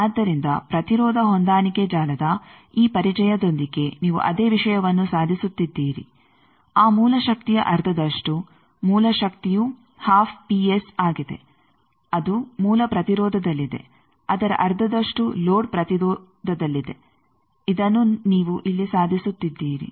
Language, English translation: Kannada, So, with this introduction of impedance matching network also you are achieving the same thing that half of the source power source power is P S half of that is in the source resistance half of that is in the load resistance that thing you are achieving here